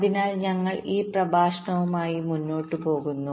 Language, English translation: Malayalam, ok, so we proceed with this lecture